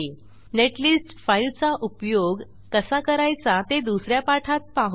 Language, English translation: Marathi, We will see the use of this netlist file in another tutorial